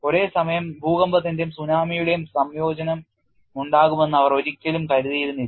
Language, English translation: Malayalam, They never thought there would be a combination of earthquake and tsunami coming at the same time